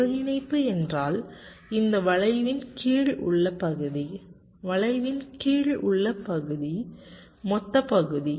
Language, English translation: Tamil, integral means the area under this curve, so this total area under the curve